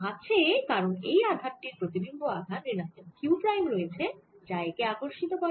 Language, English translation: Bengali, the potential is there because this q gives a negative image, charge here q prime, and that attracts it